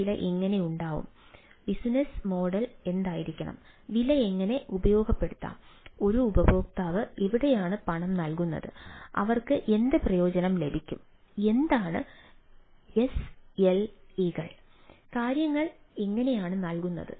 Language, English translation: Malayalam, so how this price will be there, what should be the business model and how to uh um make use of the price, where a user will pay and what benefit is get, what is the slas and how things are served